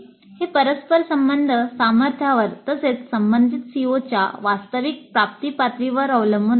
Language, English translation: Marathi, That would depend both on the correlation strength as well as the actual attainment level of the related COs